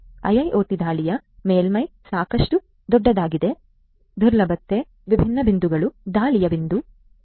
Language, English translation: Kannada, IIoT attack surface is quite big, there are different points of vulnerability, points of attack and so on